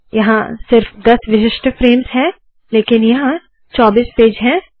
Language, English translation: Hindi, There are only 10 unique frames but there are 24 pages